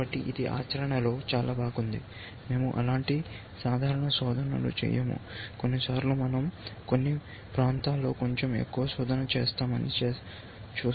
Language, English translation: Telugu, so nice in practice of course, we do not do such simple searches, we will see, that sometimes we do a little bit more search in some areas and so on and so far